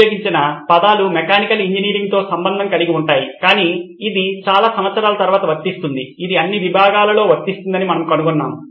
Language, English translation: Telugu, The terms that were used were all to do with mechanical engineering but this applies after so many years we found that this applies all across disciplines